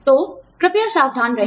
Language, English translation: Hindi, So, please be careful